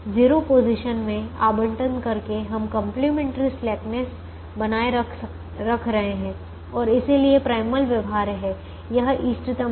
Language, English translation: Hindi, by allocating in zero positions, we are maintaining complimentary slackness and when, therefore, the primal is feasible, it is optimum